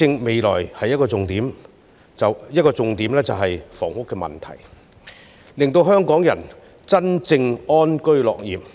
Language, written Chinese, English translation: Cantonese, 未來施政的其中一個重點，是解決住屋問題，以讓香港人能真正安居樂業。, In order that Hong Kong people can really have peace in life and contentment at work resolving the housing problem is a top priority of the citys future governance